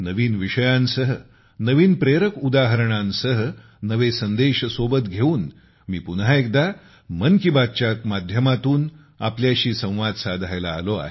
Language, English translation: Marathi, With new topics, with new inspirational examples, gathering new messages, I have come once again to express 'Mann Ki Baat' with you